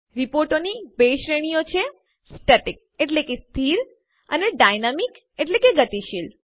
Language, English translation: Gujarati, There are two categories of reports static and dynamic